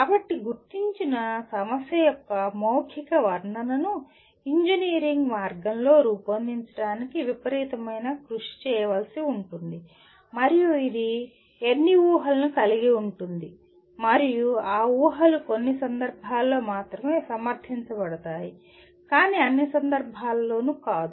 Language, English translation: Telugu, So translating a verbal description of an identified problem into formulating in an engineering way will take a tremendous amount of effort and it will involve any number of assumptions and those assumptions are justifiable only in certain context but not in all context